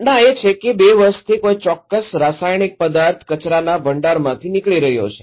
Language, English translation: Gujarati, The event is that a specific chemical substance has been leaking from a waste repository for two years